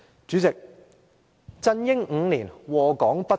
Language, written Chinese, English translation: Cantonese, 主席，"振英5年，禍港不斷"。, President CYs five - year rule has brought endless harms to Hong Kong